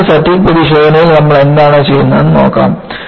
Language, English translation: Malayalam, Now, let us look at, what you do in a fatigue test